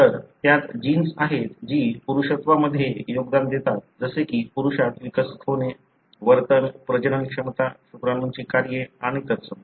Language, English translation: Marathi, So, it has genes that contribute to the maleness like developing into a male, the behavior, the fertility, the sperm functions and so on